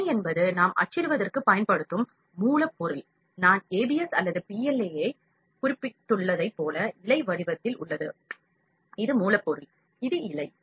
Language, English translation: Tamil, Filament is the raw material that we are using for printing, like I mentioned ABS or PLA that is there in the filament form, this is the raw material, this is filament